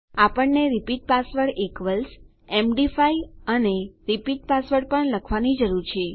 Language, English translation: Gujarati, We also need to say repeat password equals md5 and repeat password